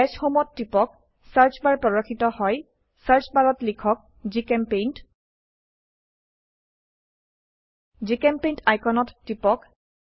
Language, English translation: Assamese, Click on Dash home Search bar appearsIn the Search bar type GChemPaint Click on the GChemPaint icon